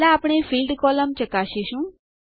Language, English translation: Gujarati, First, we will check the Field column